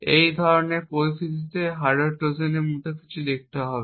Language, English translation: Bengali, The hardware Trojan in such a scenario would look something like this